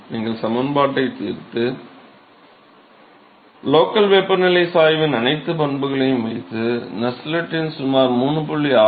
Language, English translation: Tamil, So, same exercise: you solve the equation, put all the characteristics of the local temperature gradient and you will find that the Nusselt number is about 3